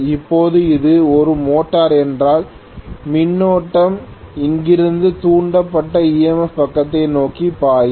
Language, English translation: Tamil, Now if it is a motor I am going to have the current flowing from here towards the induced EMF side